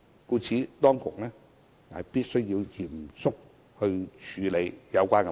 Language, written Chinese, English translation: Cantonese, 因此，當局必須嚴肅處理有關問題。, In this connection the authorities must seriously address these problems